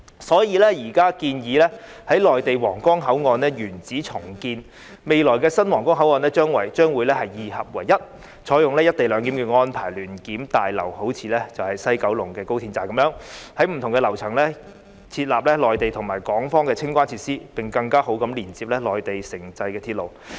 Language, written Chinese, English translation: Cantonese, 所以，現在建議在內地皇崗口岸的原址重建，未來的新皇崗口岸將會二合為一，採用"一地兩檢"安排，聯檢大樓便好像高鐵西九龍站般，在不同的樓層設立內地和港方的清關設施，並更好地連接內地城際鐵路。, Therefore the Huanggang Port in the Mainland is now suggested to be redeveloped in - situ and the future new Huanggang Port will connect the two sides with the implementation of co - location arrangement . Inside the joint inspection building just like the West Kowloon Station there will be the Mainland and Hong Kong clearance facilities at different floors with improved connection to two Mainland intercity transits